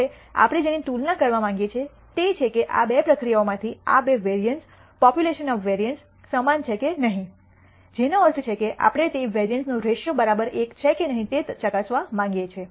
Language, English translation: Gujarati, Now, what we want to compare is whether these two variances, population variances, of these two process are equal or not which means the ratio of the variances we want to check whether it is equal to 1 or not